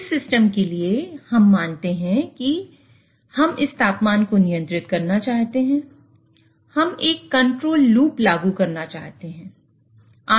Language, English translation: Hindi, So, for this system, let us consider that, so we want to control this temperature